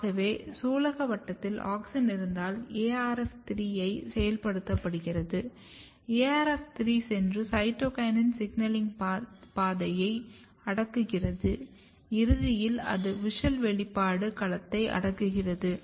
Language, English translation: Tamil, So, carpel has Auxin once Auxin is there in the carpel it activate ARF3, ARF3 goes and repress the cytokinin signaling pathway and eventually that repress the WUSCHEL expression domain